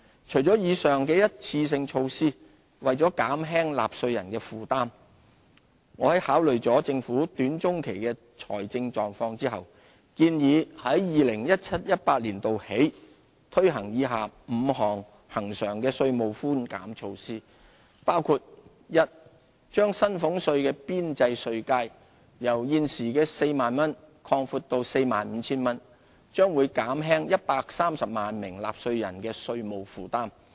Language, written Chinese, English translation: Cantonese, 除了以上的一次性措施，為減輕納稅人的負擔，我在考慮了政府短中期的財政狀況後，建議由 2017-2018 年度起推行以下5項恆常的稅務寬減措施，包括：一把薪俸稅的邊際稅階由現時 40,000 元擴闊至 45,000 元，將減輕130萬名納稅人的稅務負擔。, In addition to the above one - off measures I propose after taking into account the Governments fiscal position in the short to medium term the following five recurrent tax measures starting from 2017 - 2018 so as to relieve the burden on taxpayers a widening the marginal bands for salaries tax from the current 40,000 to 45,000